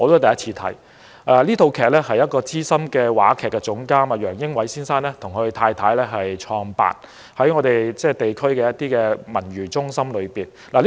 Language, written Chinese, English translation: Cantonese, 這齣音樂劇是由資深話劇總監楊英偉先生和他的妻子製作，在我們地區的文娛中心舉辦，我首次觀看。, The musical was produced by an experienced drama director Mr Samson YEUNG and his wife . It was shown in the civic centre of our district and that was the first time I watched it